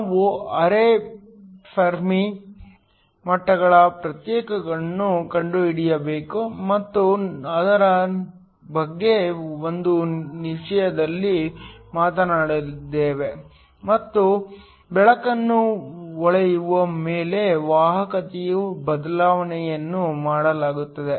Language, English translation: Kannada, We need to find the separation of the quasi Fermi levels talk about it in a minute and the change in conductivity upon shining the light